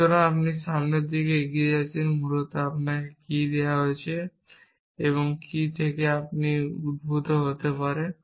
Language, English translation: Bengali, So, you moving in the forward direction essentially what is given to you and what can be derived